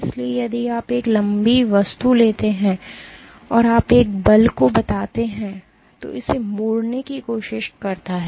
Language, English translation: Hindi, So, if you take a long object and you tell exert a force which tries to bend it